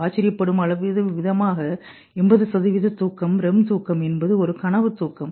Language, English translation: Tamil, Surprisingly, we do 80% of the sleep is REM sleep